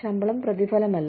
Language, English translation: Malayalam, Salaries are not rewards